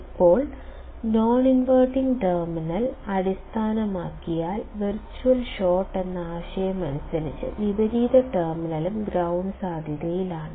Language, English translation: Malayalam, Now, if the non inverting terminal is grounded, by the concept of virtual short, inverting terminal also is at ground potential